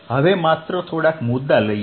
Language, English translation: Gujarati, now just a couple of points